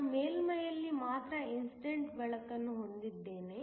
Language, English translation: Kannada, I have incident light only on the surface